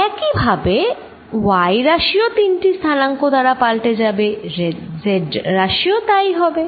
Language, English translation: Bengali, Similarly, y component will change with all the three coordinates and so will the z component